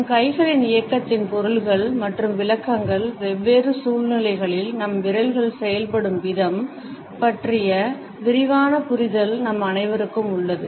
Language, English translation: Tamil, All of us have a broad understanding of the meanings and interpretations of our movement of hands as well as the way our fingers act in different situations